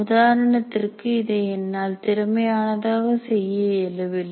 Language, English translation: Tamil, For example, I may not be able to make it efficient